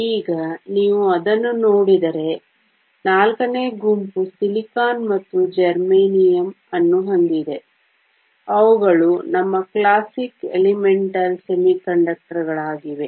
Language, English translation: Kannada, Now if you look at it, group four has silicon and germanium, which are our classic elemental semiconductors